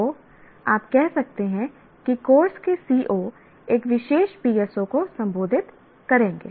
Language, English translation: Hindi, So, by and large, you can say COs of a course will address one particular PSO